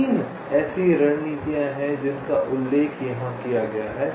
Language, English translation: Hindi, there are three such strategies which are mentioned here